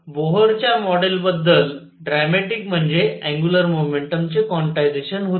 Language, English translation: Marathi, So, dramatic about Bohr’s model was quantization of angular momentum